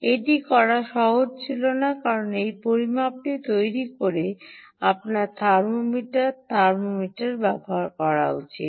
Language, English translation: Bengali, it wasnt easy to do this because you need to ah, use a thermometer, ah, ah thermometer to make this measurement